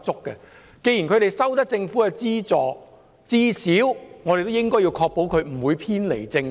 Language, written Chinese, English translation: Cantonese, 既然這些團體獲政府資助，當局至少要確保他們不會偏離正軌。, Since these groups receive funding from the Government at least the Administration should ensure that they will not deviate from the right track